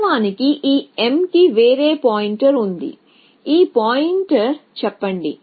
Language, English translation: Telugu, Originally this m had some other pointer let us say this pointer